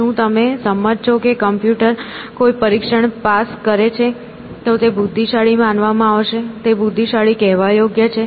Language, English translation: Gujarati, Do you agree that if a computer passes a test it will be considered to be intelligent, it qualify to be called intelligent